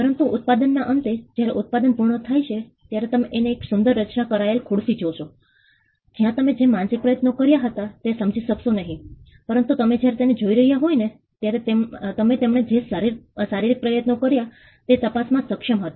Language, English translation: Gujarati, But at the end of the product, when the product gets done, you will be able to see a beautiful crafted chair, where you may not be able to discern the mental effort that went in, but you were while you were watching him, you were able to ascertain the physical effort that he as put in